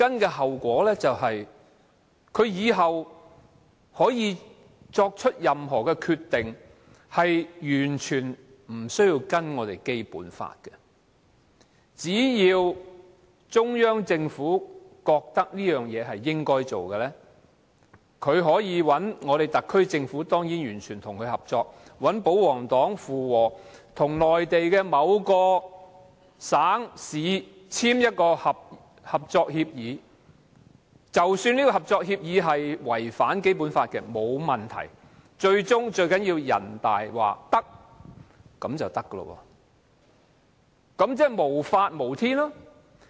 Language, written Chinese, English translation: Cantonese, 其後果是以後作出任何決定，可以完全不遵守《基本法》，只要中央政府認為某件事應該做，特區政府當然完全配合，再找保皇黨附和，與內地某個省、市簽訂合作協議，即使合作協議違反《基本法》也沒有問題，最重要是人大說行便行，那豈不是無法無天？, As long as the Central Government finds it necessary the SAR Government will certainly cooperate fully and the pro - Government camp will go along with it . Then a cooperation arrangement will be signed with a certain Mainland province or municipality . There is no problem even if the cooperation arrangement contravenes the Basic Law as long as NPC gives the green light